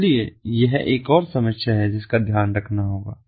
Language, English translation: Hindi, so this is another problem that has to be taken care of